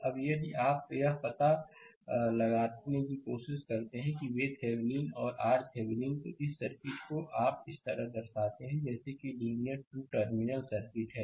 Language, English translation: Hindi, Now, if you try to find out that V Thevenin and R Thevenin, then this circuit you are represented like this is linear 2 terminal circuit